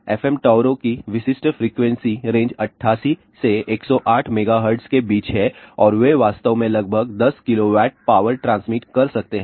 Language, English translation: Hindi, Typical frequency a range of FM towers is between 88 to 108 megahertz and then maybe actually you transmitting about 10 kilowatt of power